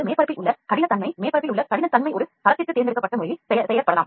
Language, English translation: Tamil, Next one is the roughness on the surface, the roughness on the surface can be selectively made for a cell to adhere cell not to adhere